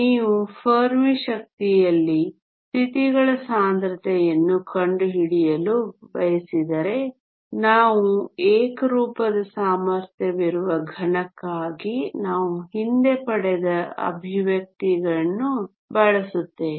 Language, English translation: Kannada, If you want to find the density of states at the Fermi energy we will make use of the expressions that we derived earlier for a solid with a uniform potential